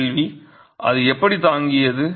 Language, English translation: Tamil, Question is how did it survive